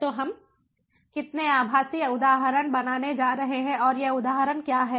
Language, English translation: Hindi, how many virtual instance are going to be create and what are these instances